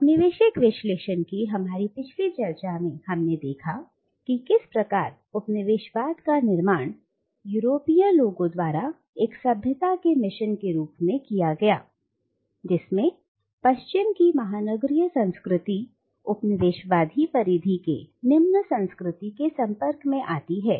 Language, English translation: Hindi, Now in our earlier discussion on the colonial discourse, we have seen how colonialism is constructed by the Europeans as a civilising mission in which a superior culture of the metropolitan West comes in contact with the “inferior culture” of the colonised periphery